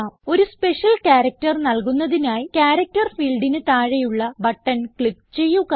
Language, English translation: Malayalam, To assign a special character, click on the button below the character field